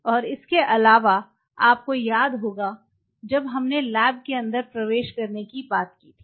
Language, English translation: Hindi, And apart from it if you remember where we talked about entering into inside the lab